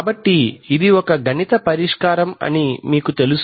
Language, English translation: Telugu, So you know this is a this is a mathematical solution